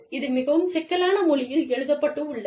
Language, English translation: Tamil, It is written in, very complicated language